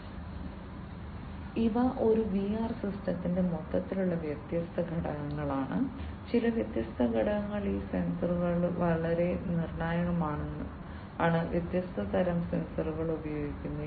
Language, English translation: Malayalam, So, these are the overall the different components of a VR system some of the different components, and these sensors are very crucial different types of sensors are used